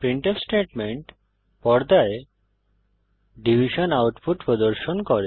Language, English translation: Bengali, The printf statement displays the division output on the screen